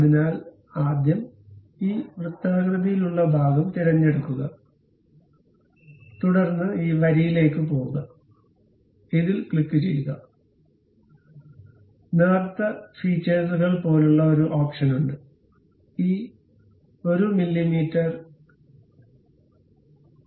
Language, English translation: Malayalam, So, first select this circular portion, then go to this line, click this one; then there is option like thin feature, change this 1 mm to 0